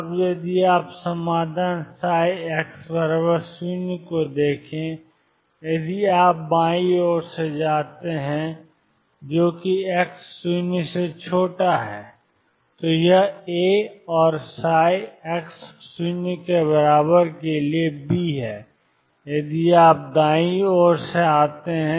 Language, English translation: Hindi, Now, if you look at the solutions psi x equal to 0, if you come from the left hand side that is x less than 0, this is A and psi x equals 0 is B, if you are come from the right hand side